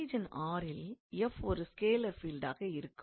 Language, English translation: Tamil, Let f x, y, z be a scalar field